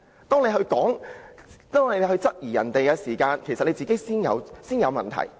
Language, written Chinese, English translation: Cantonese, "當他質疑別人時，他其實自己先有問題。, When he questions others he is actually the one who has problems first